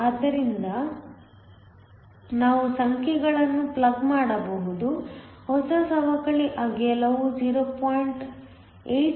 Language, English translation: Kannada, So, we can plug in the numbers; the new depletion width comes out to be 0